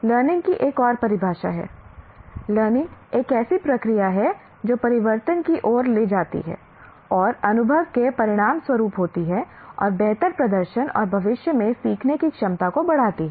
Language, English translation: Hindi, Another definition of learning is learning is a process that leads to change which occurs as a result of experience and increases the potential for improved performance and future learning